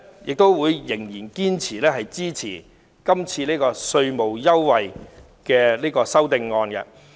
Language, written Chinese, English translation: Cantonese, 我仍然堅決支持這項有關稅務優惠的修正案。, I still strongly support this amendment on tax concessions